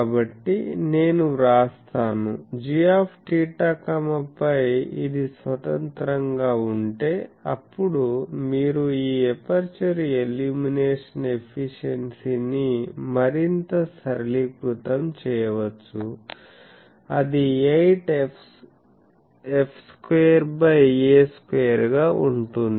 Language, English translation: Telugu, So, I write that; g theta phi is if this is independent of phi then you can further simplify this aperture illumination efficiency that will be 8 f square by a square